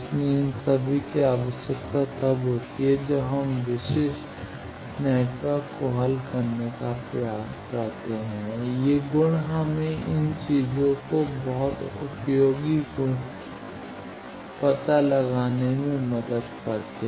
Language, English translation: Hindi, So, all these are required when we try to solve various particular networks these properties helps us to find out these things this very useful properties